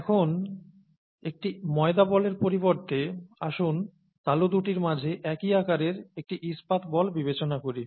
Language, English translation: Bengali, Now, instead of a dough ball, let us consider a steel ball of the same size between the palms